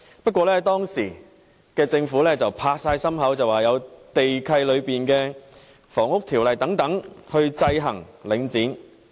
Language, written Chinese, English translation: Cantonese, 不過，當時政府拍心口說，有地契和《房屋條例》等去制衡領匯。, However at that time the Government gave the assurance that the land leases and the Housing Ordinance would exercise checks and balances on The Link REIT